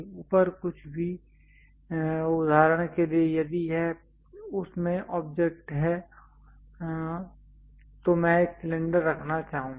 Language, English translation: Hindi, Anything above for example, if this is the object in that I would like to put a cylinder